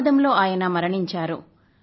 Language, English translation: Telugu, He died in an accident